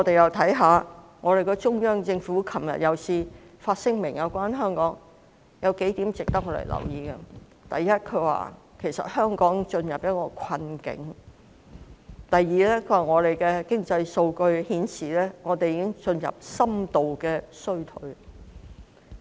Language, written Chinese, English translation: Cantonese, 昨天，中央政府再次發表有關香港的聲明，其中數點值得留意：第一，香港已進入困境；第二，經濟數據顯示香港已進入深度衰退。, Yesterday the Central Government issued another statement about Hong Kong and there are a few points worth noting . First Hong Kong is now in hardship; second economic data show that Hong Kong will enter into deep recession